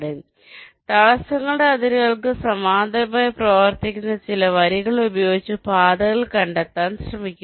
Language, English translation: Malayalam, ok, so it is trying to trace the paths using some lines which are running parallel and close to the boundaries of the obstacles